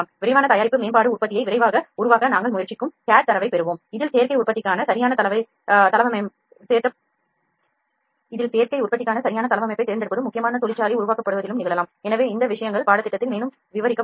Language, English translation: Tamil, Rapid product development we get the cad data we try to develop the product rapidly in which selecting the proper layout for additive manufacturing is also important factory simulation can also happen, so these things will be discussed in the course further